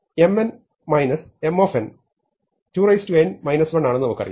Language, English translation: Malayalam, We have that M n minus